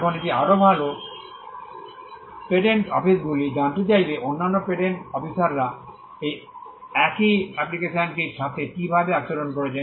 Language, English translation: Bengali, Now this is more like, the patent office would like to know how other patent officers are dealing with the same application